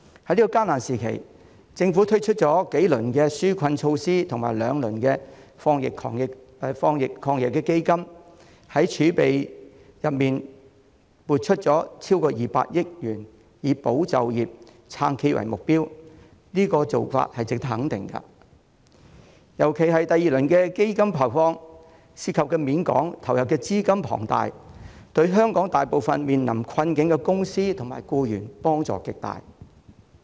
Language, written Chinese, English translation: Cantonese, 在這個艱難時期，政府推出了數輪紓困措施和兩輪防疫抗疫基金，從儲備中撥出超過200億元，以保就業、撐企業為目標，做法值得肯定，尤其是第二輪基金的投放，涉及面廣、投入資金龐大，對香港大部分面臨困境的公司和僱員幫助極大。, At this difficult time the Government has launched several rounds of relief measures and two rounds of Anti - epidemic Fund AEF setting aside more than 20 billion of the fiscal reserves aimed at safeguarding jobs and supporting enterprises . Such initiatives are commendable particularly the disbursement of the second round of AEF given its wide coverage and massive funding which will be of great help to most companies and employees in difficulty in Hong Kong . Certainly as the saying goes the problem lies not in scarcity but uneven distribution